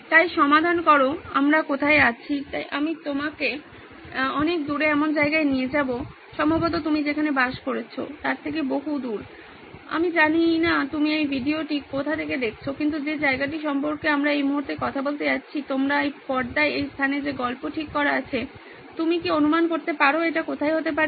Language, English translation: Bengali, So solve is where we are at, so I’m going to take you to a place far away in time and far away you probably are living there, I don’t know where you are viewing this video from, but the place that we are going to talk about a story is set in this place on your screen right now, can you take a guess where this could be